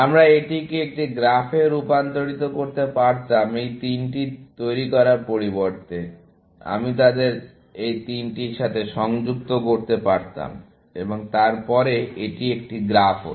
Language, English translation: Bengali, We could have converted this into a graph by, instead of generating these three, I could have connected them to these three, and then, it would have been a graph